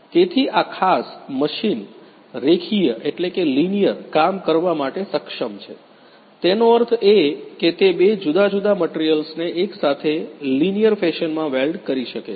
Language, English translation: Gujarati, So, this particular machine is able to do linear jobs; that means, that two different materials it can weld together in a linear fashion